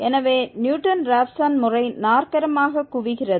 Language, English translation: Tamil, So, the Newton Raphson method converges quadratically